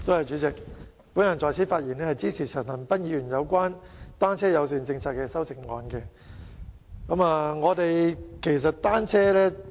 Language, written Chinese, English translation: Cantonese, 主席，我發言支持陳恒鑌議員就單車友善政策提出的修正案。, President I rise to speak in support of the amendment proposed by Mr CHAN Han - pan on the formulation of a bicycle - friendly policy